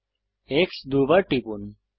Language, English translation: Bengali, Press X twice